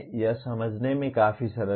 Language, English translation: Hindi, This is fairly simple to understand